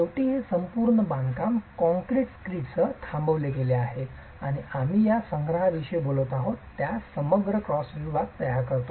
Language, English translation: Marathi, Finally, this entire construction is topped with a concrete screed and forms the composite cross section that we are talking of